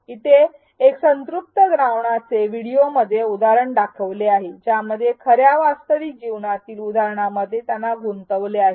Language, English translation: Marathi, Here is an example of a video teaching children about saturated solutions by engaging them with real life examples